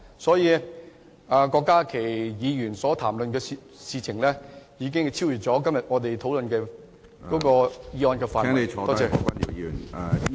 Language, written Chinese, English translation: Cantonese, 所以，郭家麒議員所談論的事已超越了本會今天討論的議案的範圍。, Hence the issue discussed by Dr KWOK Ka - ki has exceeded the scope of todays motion